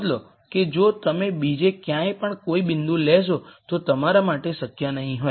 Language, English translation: Gujarati, Notice that if you take any point anywhere else you will not be feasible